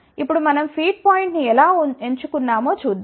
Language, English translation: Telugu, Now, let us see how we have chosen the feed point